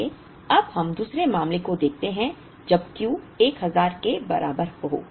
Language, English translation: Hindi, So, we know look at the case two when Q equal to 1000